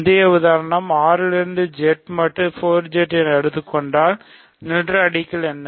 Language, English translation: Tamil, And as the earlier example showed if R is Z mod 4Z, what is nilradical